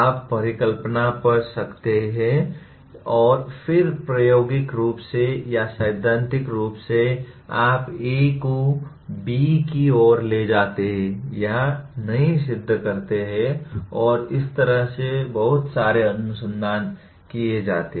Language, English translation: Hindi, You may hypothesize and then either experimentally or theoretically you prove or disprove A leads to B or not and much of the research is done like that